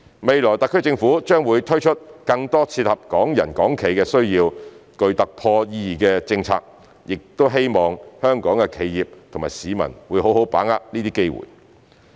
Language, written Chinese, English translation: Cantonese, 未來特區政府將會推出更多切合港人港企需要、具突破意義的政策，我亦希望香港的企業及市民會好好把握這些機會。, In future the SAR Government will introduce more policy breakthroughs that suit the needs of Hong Kong people and enterprises . I also hope that the enterprises and people of Hong Kong will properly seize these opportunities